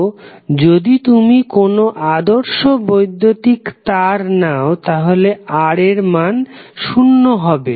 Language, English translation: Bengali, So, ideally if you take electrical wire you assume that the value of R is zero